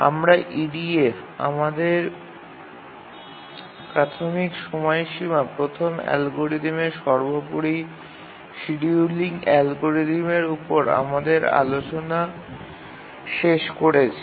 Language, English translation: Bengali, Now we have concluded our discussion on EDF, the earliest deadline first algorithm, that is the optimal scheduling algorithm